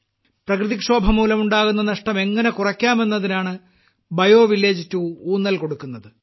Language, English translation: Malayalam, BioVillage 2 emphasizes how to minimize the damage caused by natural disasters